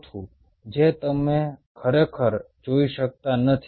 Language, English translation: Gujarati, ok, a fourth one you really cannot see